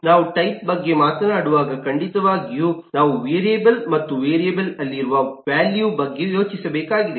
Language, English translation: Kannada, when we are talking about type, certainly we have the context is of a variable and a value that resides in the variable